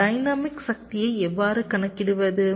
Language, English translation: Tamil, so how do we calculate the dynamic power